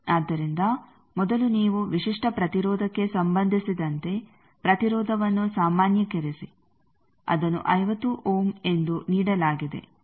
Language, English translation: Kannada, So, first you normalize the impedance with respect to the characteristic impedance, it is given 50 ohm